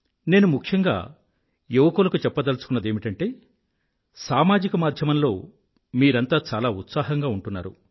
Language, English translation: Telugu, I want to urge the youth especially that since you are very active on social media, you can do one thing